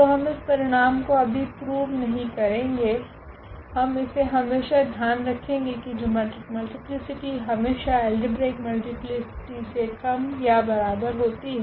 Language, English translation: Hindi, So, we will not prove this result now, but we will keep in mind that this geometric multiplicity is always less than or equal to the algebraic multiplicity